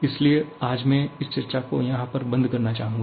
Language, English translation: Hindi, So that is where I would like to close today